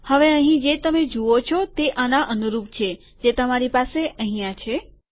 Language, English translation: Gujarati, Now what you see here corresponds to what you have here